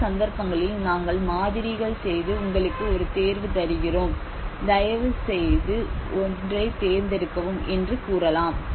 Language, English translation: Tamil, In many of the cases we can see that we did the models and we can say please select one of that we are giving you a choice